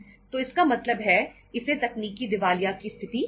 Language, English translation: Hindi, So it means this is called as the state of technical insolvency